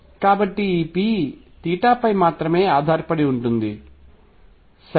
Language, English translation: Telugu, So, this p would depend only on theta, right